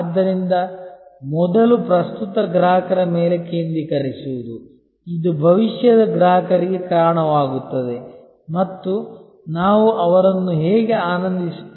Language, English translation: Kannada, So, first is focus on current customers, which will lead to future customers and how we will delight them